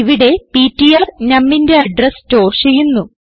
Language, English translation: Malayalam, Over here ptr stores the address of num